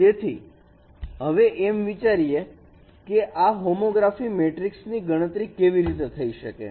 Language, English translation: Gujarati, So now we will be considering how this homography matrix could be computed